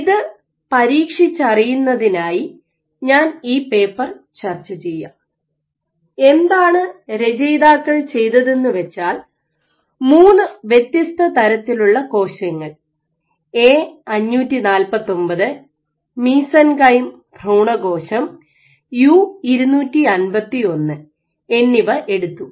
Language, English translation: Malayalam, So, to test this, so I will discuss this paper, so what these authors did was took cells, took three different types of cells A549, mesenchyme stem cell and U251